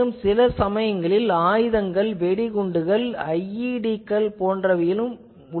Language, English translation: Tamil, Also sometimes many arms ammunitions, some IEDs etc